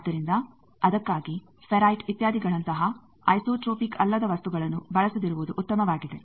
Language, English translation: Kannada, So, for that it is better that the non isotropic material like ferrites etcetera, they are not used